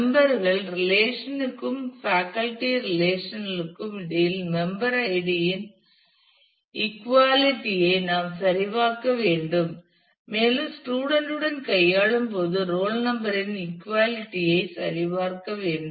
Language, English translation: Tamil, We need to check the equality of member id between the members relation and the faculty relation and while dealing with the student we need to check for the equality of the roll number